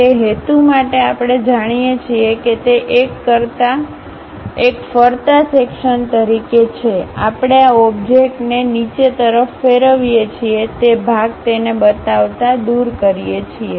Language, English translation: Gujarati, For that purpose what we do is by knowing it is as a revolve section, we rotate this object downwards, remove that portion show it